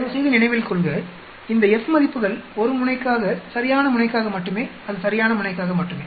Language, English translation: Tamil, Please remember these F values are for 1 tail only the right tail, it is only for the right tail